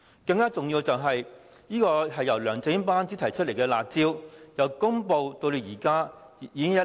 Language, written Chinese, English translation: Cantonese, 更重要的是，由梁振英班子提出的"辣招"，由公布至今已經一年。, More importantly it has already been one year since the curb measure proposed by the LEUNG Chun - ying administration was announced